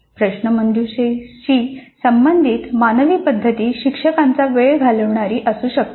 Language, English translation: Marathi, The manual methods associated with quizzes can be time consuming to teachers